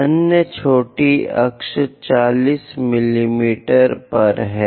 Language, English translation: Hindi, The other one minor axis is at 40 mm